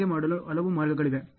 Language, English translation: Kannada, There are so, many ways of doing it